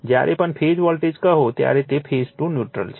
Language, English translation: Gujarati, Whenever we say phase voltage, it is phase to neutral right